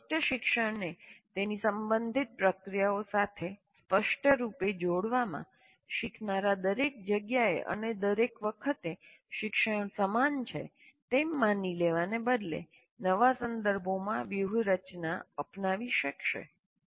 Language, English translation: Gujarati, It explicitly, in explicitly connecting a learning context to its relevant processes, learners will be able to adopt strategies to new context rather than assume that learning is the same everywhere and every time